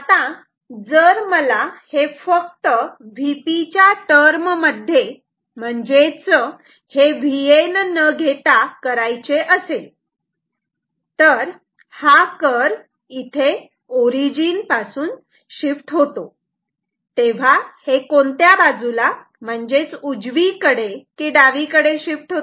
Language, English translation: Marathi, Now, if I want to draw this only in terms of V P instead of without have the V N ok, then this curve will shift the origin ok, which way will it shift towards the left or towards the right take an example